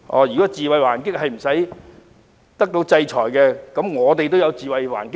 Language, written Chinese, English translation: Cantonese, 如果自衞還擊不會受到制裁，我們也可以自衞還擊了。, If people launching counter - attacks in self - defence can elude justice we can also do the same